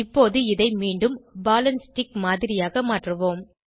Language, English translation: Tamil, Let us now convert it back to ball and stick model